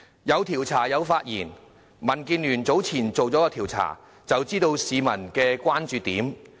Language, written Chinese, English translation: Cantonese, 有調查，有發言，民建聯早前曾進行調查，知道市民的關注點。, We have conducted a survey and voiced our opinions . DAB conducted a survey earlier on thus learning peoples concern